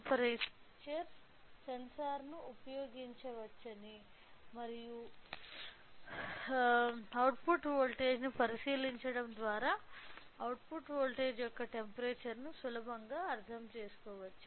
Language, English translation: Telugu, So, with this we can understand that we can we can use this particular temperature sensor and by looking into the output voltage we can easily understand the output voltage the temperature of the plant